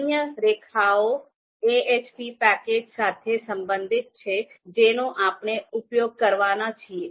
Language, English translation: Gujarati, The other are related to the AHP package which are which we are about to use